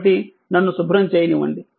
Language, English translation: Telugu, So, just let me clear it